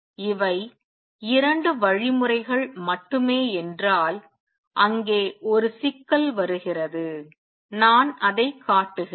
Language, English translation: Tamil, If these were the only 2 mechanisms, there comes a problem let me show that